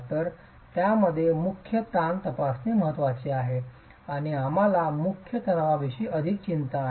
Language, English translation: Marathi, So, in this, it's important to examine the principal stresses and we are concerned more about the principal tension